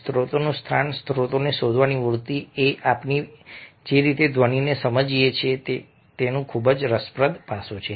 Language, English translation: Gujarati, source location: the tendency to search for the source is a very interesting aspect of the way we perceive sound